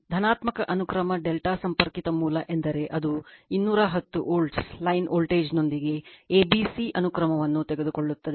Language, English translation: Kannada, say positive sequence delta connected source means, it will be you take a, b, c sequence right with a line voltage of 210 volt it is given right